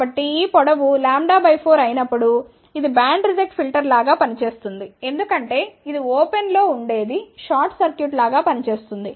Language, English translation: Telugu, So, when this length is lambda by 4, it acts like a band reject filter because this is open will act as a short